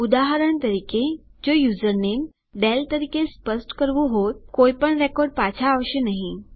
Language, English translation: Gujarati, If I were to specify the username as Dale, for example, no records will be returned